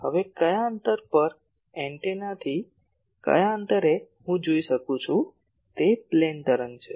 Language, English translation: Gujarati, Now at which distance, at which distance from the antenna I can see it is a plane wave like thing